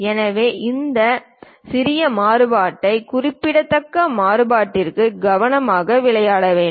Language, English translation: Tamil, So, one has to carefully play with this small variation to large variation